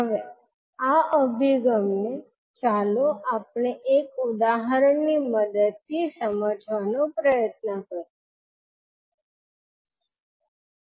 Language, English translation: Gujarati, Now this particular approach let us try to understand with the help of one example